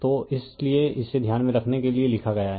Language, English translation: Hindi, So, that is why this is written for you that keep in mind that right